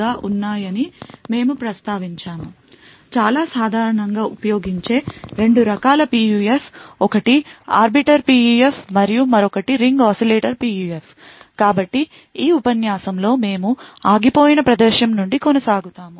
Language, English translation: Telugu, We also mentioned that there are 2 types of very commonly used PUFs, one was the Arbiter PUF and other was the Ring Oscillator PUF, so in this lecture we will continue from where we stopped